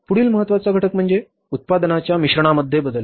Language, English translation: Marathi, Next important factor is a change in the product mix